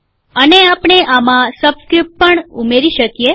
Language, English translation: Gujarati, And we can also add a subscript to this